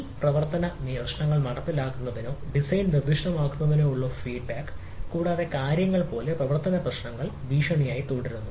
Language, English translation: Malayalam, this operational issues are feedback either to the implementation or design, specification and things or operational issues comes as a threat